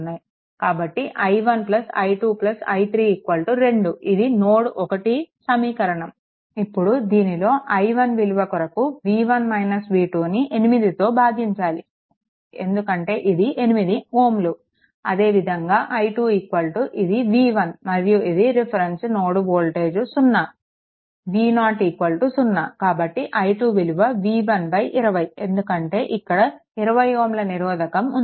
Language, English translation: Telugu, So, i 1 plus i 2 plus i 3 is equal to 2 this equation is we can easily write right at now i 1 is equal to your i 1 is equal to your v 1 minus v 2 by 8 because it is 8 ohm, similarly i 2 is equal to your v 1 this reference node voltage is 0 v 0 is 0 this is your i 2 ; that means, it will be directly v 1 by 20 because this 20 ohm resistance is there